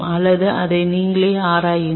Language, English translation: Tamil, Or you explore it by yourself